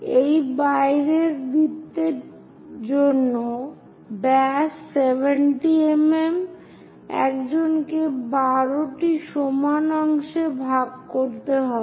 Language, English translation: Bengali, For this outer circle, the diameter is 70 mm; one has to divide into 12 equal parts